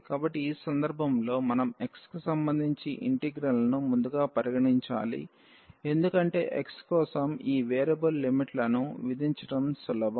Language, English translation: Telugu, So, in this case we have to consider first the integration with respect to x because it is easier to set this variable limits for x